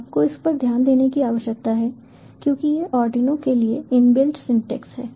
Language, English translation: Hindi, you need to focus on this one because, ah, this is the inbuilt syntax for arduino